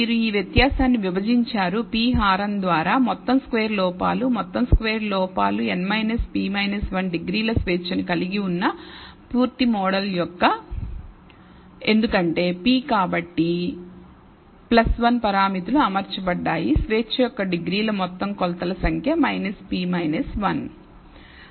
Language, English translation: Telugu, So, you divide this difference in the sum squared errors by p denominator is the sum squared errors of the full model which contains n minus p minus 1 degrees of freedom because p plus 1 parameters have been fitted therefore, the degrees of freedom is the total number of measurements minus p minus 1